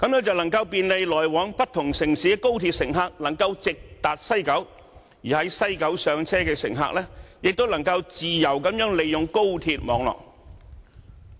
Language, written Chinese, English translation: Cantonese, 這樣，來往不同城市的高鐵乘客，便能夠直達西九，感到更便利；而在西九上車的乘客，亦能夠自由地利用高鐵網絡。, In this way HSR passengers from different cities can directly and conveniently arrive at West Kowloon Station while passengers embarking at West Kowloon Station can also freely make use of the HSR network